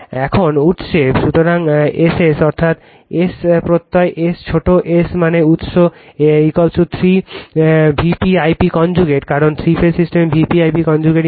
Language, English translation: Bengali, Now, at the source, so S s is equal to that is S suffix s small s stands for source is equal to 3 V p I p conjugate, because three phase system V p I p conjugate into 3